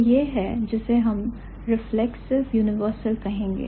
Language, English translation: Hindi, So, that is what we would call as reflexive universal